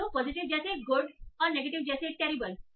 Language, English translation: Hindi, So positive is like good and negative is like terrible